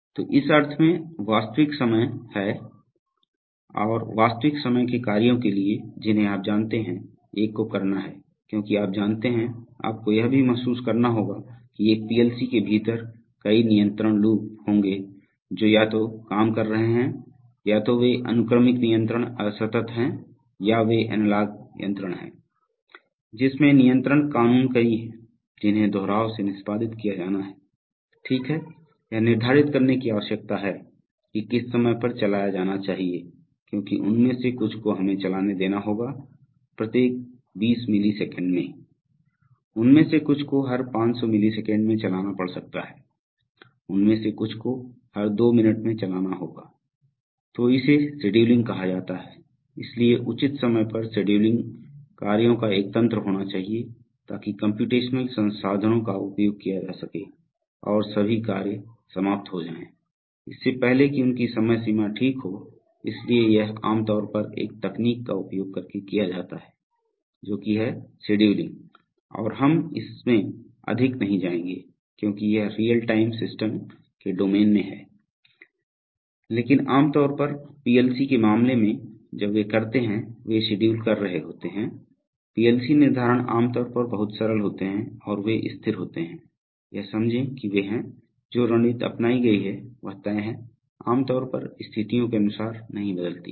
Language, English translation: Hindi, So in that sense they are real time and for real time tasks you know, one has to, because you know, you have to also realize that within one PLC there will be several control loops working either rungs, either they are discrete sequential control or they are analog controls whatever it is there are a number of control laws which have to be repetitively executed, right, so there is a requirement of determining that which should be run at what time because some of them will have to be run let us say every 20 millisecond, some of them may have to be run every 500milliseconds, some of them may have to be run every two minutes right